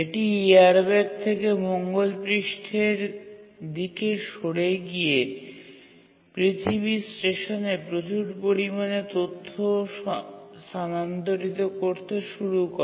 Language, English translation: Bengali, It moved out from the airbag onto the Mars surface and started transmitting to the Earth Station large amount of data